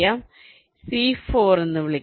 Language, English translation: Malayalam, lets call it c four